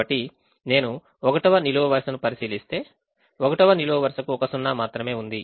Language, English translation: Telugu, so if i look at the first column, the first column has only one zero and therefore i can make an assignment here